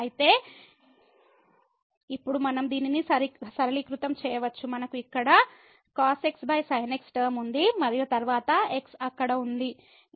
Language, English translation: Telugu, So, now, we can simplify this so, we have here the over term and then the there